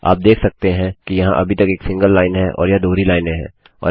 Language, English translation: Hindi, You can see this is still a single line and these are double lines and you cant mix them up